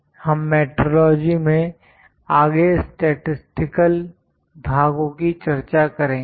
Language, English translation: Hindi, We will discuss the statistical parts in metrology further